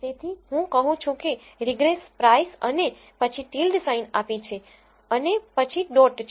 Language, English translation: Gujarati, So, I say regress price and then I give a tilde sign and then I say a dot